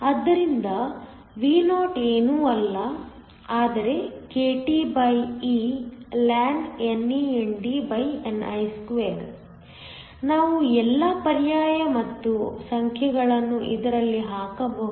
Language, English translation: Kannada, So, Vo is nothing, but kTeln NANDni2 , we can do all the substitution and the numbers